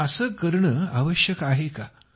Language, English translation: Marathi, Is this at all necessary